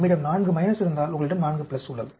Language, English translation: Tamil, If we have minus, you have 4 plus